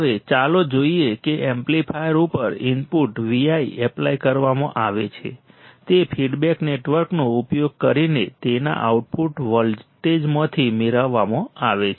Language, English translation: Gujarati, Now, let us see now the input V i is applied to the amplifier right V i is applied to this amplifier is to be derived from its output voltage using feedback network